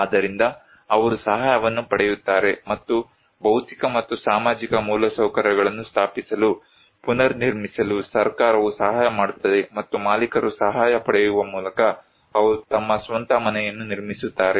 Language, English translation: Kannada, So, they will get an assistance and government will help them to install, rebuild physical and social infrastructure, and the owners they will construct their own house by getting assistance